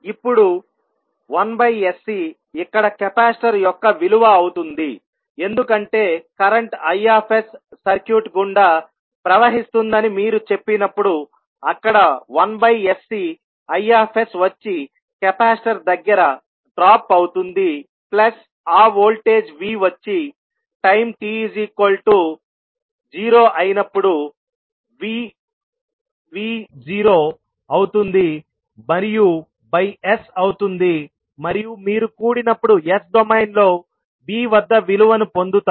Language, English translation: Telugu, Now, plus 1 upon sc will be the value of the capacitor here because when you say the current is i s flowing through the circuit so i s into 1 by sc will be the drop of across capacitor plus the voltage that is v0 at v at time t equal to 0 and by s and when you sum up you will get the value at v in s domain